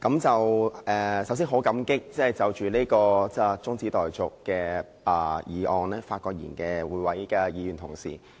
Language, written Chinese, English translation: Cantonese, 首先，我很感激就這項中止待續議案發言的議員。, To begin with I wish to say that I am grateful to those Members who spoke on this adjournment motion